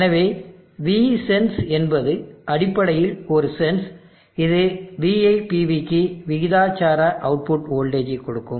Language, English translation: Tamil, So V sense is basically a sense where it is giving an output voltage proportional to VIPV